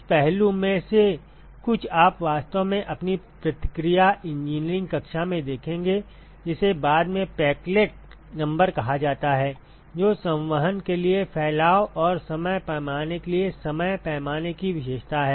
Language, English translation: Hindi, Some of this aspect you will actually see in your reaction engineering class later something called a Peclet number, which characterizes the time scale for dispersion and time scale for convection and